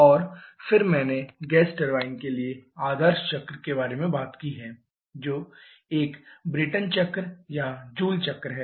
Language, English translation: Hindi, And then I have talked about the ideal cycle for a gas turbine which is a Brayton cycle or Joule cycle